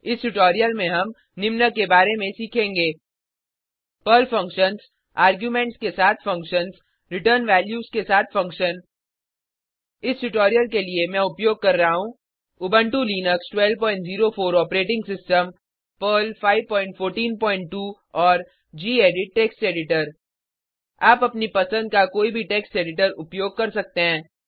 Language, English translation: Hindi, In this tutorial, we will learn about Perl functions functions with arguments function with return values For this tutorial, I am using Ubuntu Linux12.04 operating system Perl 5.14.2 and gedit Text Editor You can use any text editor of your choice